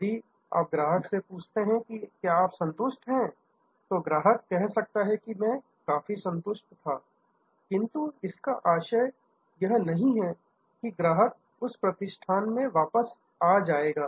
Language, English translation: Hindi, If you ask the customer that whether you satisfied, the customer might say yes, I was quite satisfied that does not mean that the customer will come back to that establishment